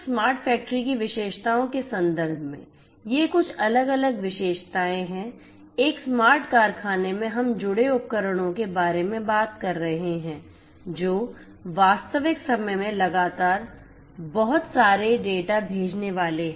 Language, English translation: Hindi, So, in terms of the features of a smart factory these are the some of these different features, you know in a smart factory we are talking about connected devices which are going to sent lot of data in real time continuously